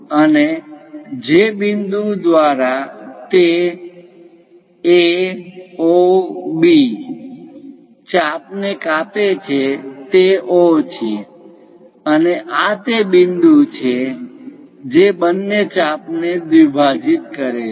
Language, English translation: Gujarati, And the point through which it cuts A, O, B arc is O, and this is the point which bisect both the arcs